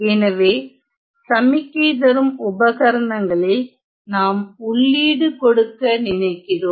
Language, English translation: Tamil, So in a signaling devices, we try to provide an input